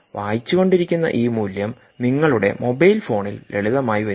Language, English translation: Malayalam, this value that is being read off will actually come on your phone, on a simple mobile phone